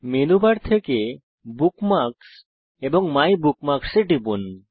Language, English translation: Bengali, * From Menu bar, click on Bookmarks and MyBookmarks